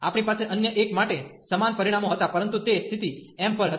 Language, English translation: Gujarati, We had the similar results for the other one, but that was the condition was on m